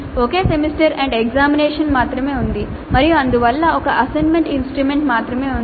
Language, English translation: Telugu, There is only one semester and examination and thus there is only one assessment instrument that needs to plan